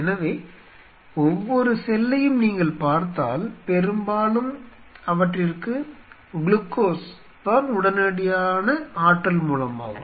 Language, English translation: Tamil, So, every cell, if you look at it mostly they are readily source energy source is glucose